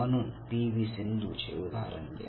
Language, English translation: Marathi, Take the case of P V Sindhu